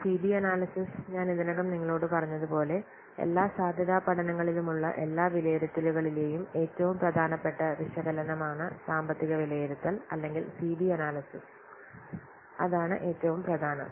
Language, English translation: Malayalam, Then as I have already told you CB analysis that is the most important analysis among all the assessment, among all the feasibility studies, financial assessment or CB analysis is the most important